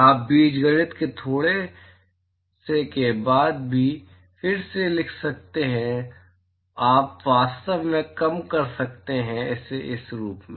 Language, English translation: Hindi, You can rewrite after little bit of algebra, you can actually reduce it to this form